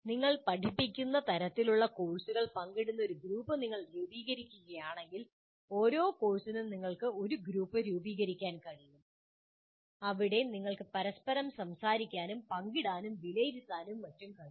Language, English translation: Malayalam, If you form a group where you share the type of courses that you teach, for each course you can form a kind of a group where you can talk to each other, share with each other, evaluate each other, and so on